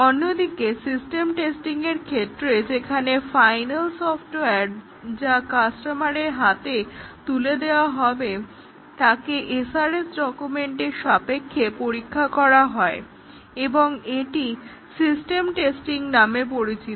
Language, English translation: Bengali, Whereas the system testing, where the final software that is to be delivered to the customer is tested against the SRS document is known as system testing